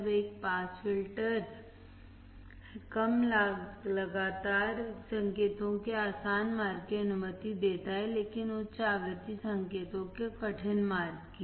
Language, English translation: Hindi, Now, a pass filter allows easy passage of low frequent signals, but difficult passage of high frequency signals